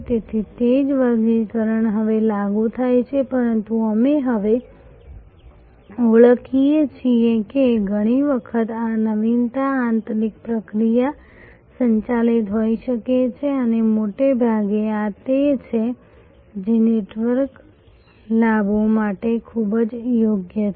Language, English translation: Gujarati, So, that same classification now applies, but we are now recognizing that many times this innovation can be internal process driven and mostly these are the ones which are very amenable to network advantages